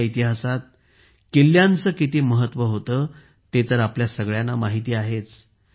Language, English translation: Marathi, We all know the importance of forts in our history